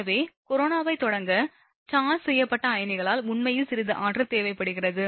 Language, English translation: Tamil, So, that some energy is required actually, by the charged ions to start corona